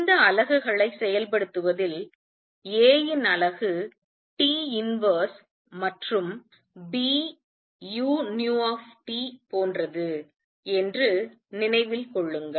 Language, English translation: Tamil, Just keep in mind in working out these units that unit of A are T inverse and that same as B u nu T